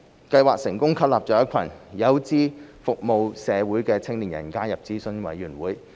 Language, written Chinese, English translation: Cantonese, 計劃成功吸納一群有志服務社會的青年人加入諮詢委員會。, The scheme has successfully attracted a group of young people who aspire to serve the community to join advisory committees